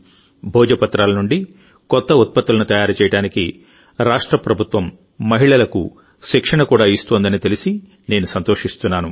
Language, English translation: Telugu, I am also happy to know that the state government is also imparting training to women to make novel products from Bhojpatra